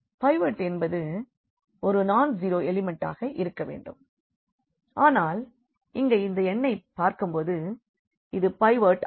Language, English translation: Tamil, The pivot has to be a non zero element, but looking at this number here this is a pivot